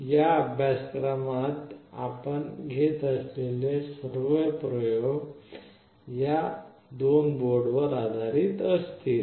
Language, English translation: Marathi, All the experiments that we will be doing in this course will be based on these two boards